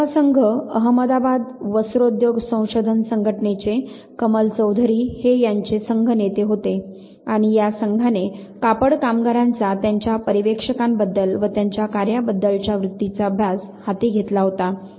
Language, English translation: Marathi, The 5th team, Kamal Chowdhry of madabad textile industry research association was the team leader and this very team took up the study of a attitudes of textile workers to their supervisors and their work